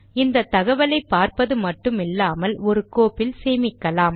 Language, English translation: Tamil, Instead of just displaying all these information on the screen, we may store it in a file